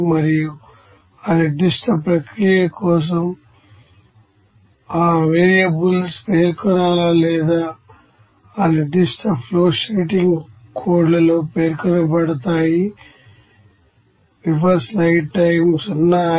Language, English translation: Telugu, And also whether that variables to be specified for that particular process or not in that particular flowsheeting codes